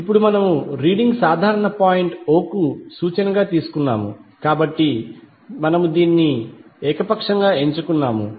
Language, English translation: Telugu, Now we have taken the reading with reference to common point o, so we have selected it arbitrarily